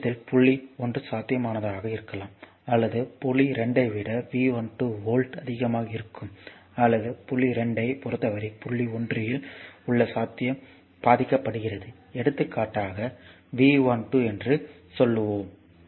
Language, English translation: Tamil, So, in this case either point 1 is at potential or V 12 volts higher than point 2 or the potential at point 1 with respect to point 2 is V 12 right